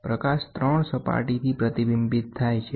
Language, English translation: Gujarati, The light is reflected from 3 surfaces